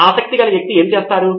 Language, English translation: Telugu, What would your interested person go through